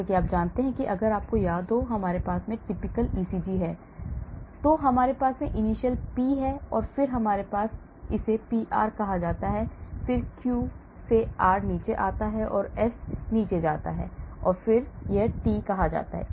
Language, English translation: Hindi, So, as you know if you remember how we have typical ECG looks like, so we have the initial P and then we have this is called the PR then goes down Q then R is high and then again it goes down S, then this is called T